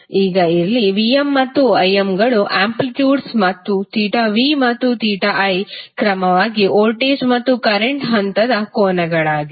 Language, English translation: Kannada, Now, here Vm and Im are the amplitudes and theta v and theta i are the phase angles for the voltage and current respectively